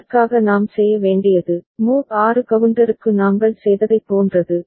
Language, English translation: Tamil, For that what we need to do, similar to what we had done for mod 6 counter